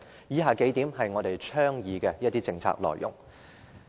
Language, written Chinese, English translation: Cantonese, 以下是我們倡議的政策內容。, The details of policies that we advocate are as follows